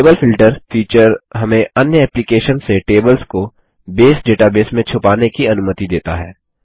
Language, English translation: Hindi, Table Filter feature allows us to hide tables in a Base database from other applications